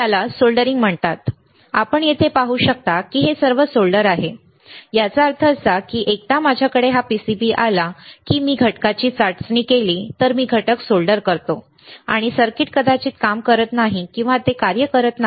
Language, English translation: Marathi, It is called soldering, you can see here it is all soldered it is solder; that means, that once I have this PCB I solder the components if I test the component, and circuit may not work or it is not working